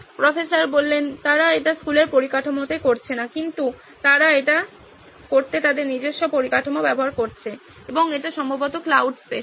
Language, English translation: Bengali, They are not doing it on school infrastructure but they are using their own infrastructure to do this and it is probably on cloud space